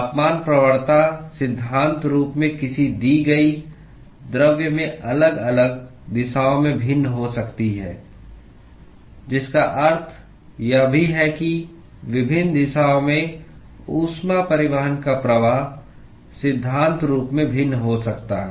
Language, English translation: Hindi, The temperature gradient can in principle be different in different directions in a given material, which also automatically implies that the flux of heat transport in different directions can in principle, be different